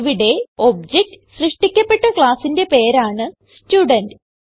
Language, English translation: Malayalam, Here, Student is the name of the class for which the object is to be created